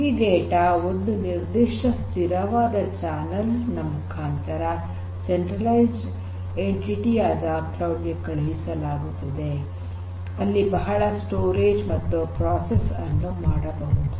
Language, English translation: Kannada, These data are sent through this particular fixed channel to this centralized entity called the cloud where lot of storage is existing and lot of processing can be done